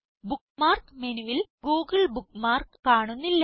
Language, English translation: Malayalam, * The google bookmark is no longer visible in the Bookmark menu